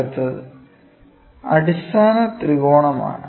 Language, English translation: Malayalam, Next one is fundamental triangle this is the fundamental triangle